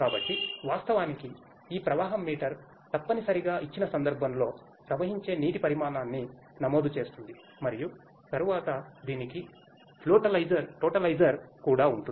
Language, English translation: Telugu, So, actually this flow meter essentially records the quantity of water flowing at a given instance and then, it has a totalizer also